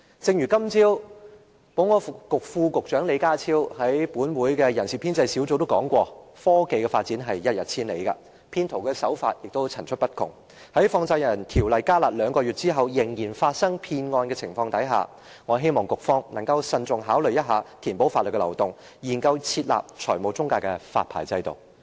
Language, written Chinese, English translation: Cantonese, 正如今早保安局副局長李家超先生在本會的人事編制小組委員會提到，科技發展一日千里，騙徒手法更是層出不窮，在《放債人條例》"加辣"兩個月後仍然發生騙案的情況下，我希望局方能慎重考慮填補法律漏洞，研究設立財務中介的發牌制度。, As the Under Secretary for Security Mr John LEE mentioned at the meeting of the Establishment Subcommittee this morning technology advances by leaps and bounds and tactics adopted by fraudsters are multifarious . Since the harsh measures under the Money Lenders Ordinance have been introduced for two months and fraud cases continue to occur I hope the Bureau will seriously consider plugging the loopholes in law and examine the establishment of a licensing regime for financial intermediaries